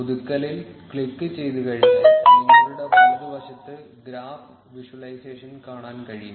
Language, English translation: Malayalam, Once you click on refresh, you will be able to see the graph visualization on your right